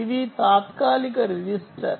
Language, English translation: Telugu, this is the temporary register